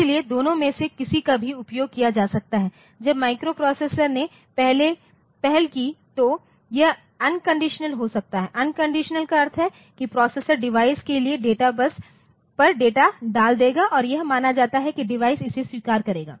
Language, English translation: Hindi, So, either of them can be utilized so, when it is microprocessor initiated it may be un conditionals so, un conditional means the processor will just put the data onto the data bus for the port for the device and it is assumed that the device will accept it